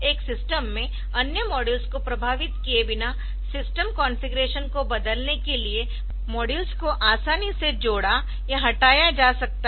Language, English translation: Hindi, So, one can easily add or move modules to change the system configuration without effecting other modules in the systems